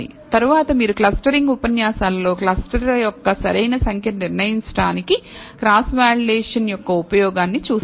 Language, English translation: Telugu, Later on, you will see in the clustering lectures, the use of cross validation for determining the optimal number of clusters